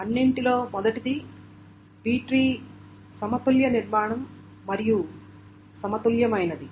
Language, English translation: Telugu, First of all, the B tree is a balanced structure